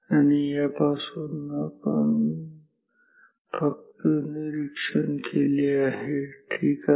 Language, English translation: Marathi, And, from this just from this observed ok